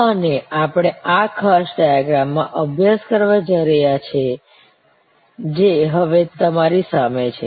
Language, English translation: Gujarati, And this is what we are going to study in this particular diagram, which is now in front of you